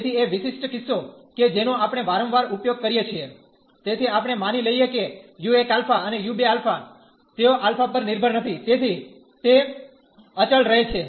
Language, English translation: Gujarati, So, a particular case which we often use, so we assume that u 1 alpha and u 2 alpha, they do not depend on alpha, so they are constant